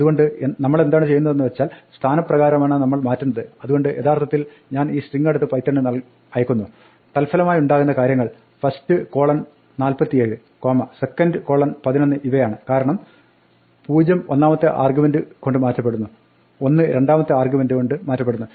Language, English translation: Malayalam, So what we are doing is, we are replacing by position, so if I actually take this string and I pass it to python the resulting thing is first colon 47, second colon 11, because the first argument, the brace 0 is replaced by the first argument to format 47 and the second replaces the second